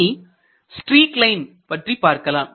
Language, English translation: Tamil, Let us consider the streak line